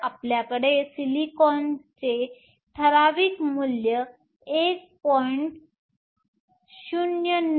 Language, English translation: Marathi, So, we have silicon typical value is 1